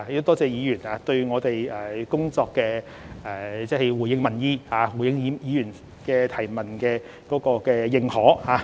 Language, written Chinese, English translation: Cantonese, 多謝議員對我們的工作，即回應民意、回應議員質詢的認同。, I wish to thank Member for recognizing our work in response to public opinions and Members questions